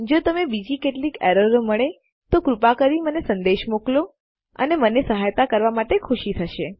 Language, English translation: Gujarati, If there are other errors that you are getting, then please message me and I will be happy to help